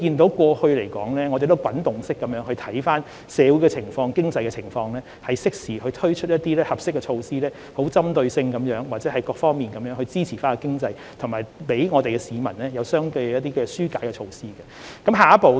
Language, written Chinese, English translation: Cantonese, 所以，我們要持續監察社會及經濟情況，適時推出合適措施，針對性地或從多方面支持經濟，並為市民推出相應的紓困措施。, Therefore we have to continuously monitor the socio - economic situation introduce suitable measures as and when appropriate for supporting the economy in a targeted or multi - faceted manner as well as implement corresponding relief measures for the public